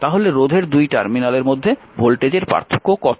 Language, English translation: Bengali, So, what is the voltage difference across the resistor terminal